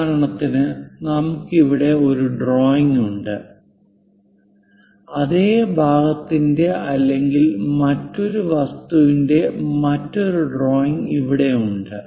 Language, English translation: Malayalam, For example, we have a drawing of this here, there might be another drawing of the same either part or other things here